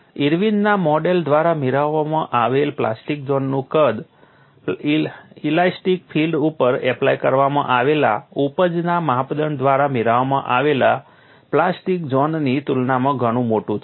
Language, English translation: Gujarati, The plastic zone size obtain through Irwin’s model is quite large in comparison to the one obtain through the yield criteria applied to the elastic field